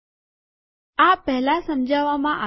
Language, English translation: Gujarati, So this has been explained before